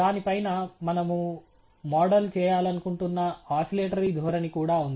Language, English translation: Telugu, On top of it, we also have an oscillatory trend which we would like to model